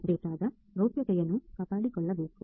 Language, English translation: Kannada, The privacy of the data should be maintained